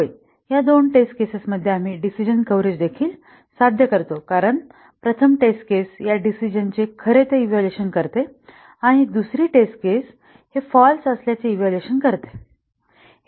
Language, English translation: Marathi, Yes, with this two test cases we also achieve decision coverage because the first test case would evaluate this decision to true and the second test case will evaluate this to false